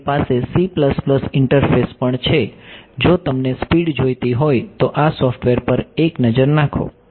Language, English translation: Gujarati, They also have a c plus plus interface, if you wanted speed ok, have a look at this software